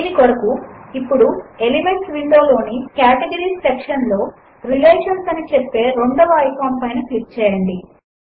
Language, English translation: Telugu, For this, let us click on the second icon that says Relations in the Categories section in the Elements window